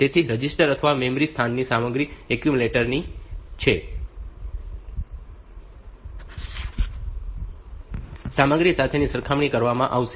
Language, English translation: Gujarati, So, the contents of the register or memory location will be compared with the content of the accumulator